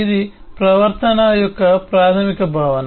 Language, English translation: Telugu, that’s the basic notion of the behavior